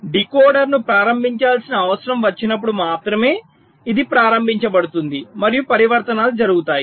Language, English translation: Telugu, so only when i require to enable the decoder, only then this will be enabled and the transitions will take place